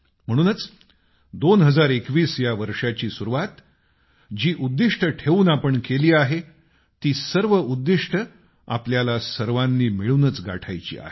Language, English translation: Marathi, Therefore, the goals with which we started in 2021, we all have to fulfill them together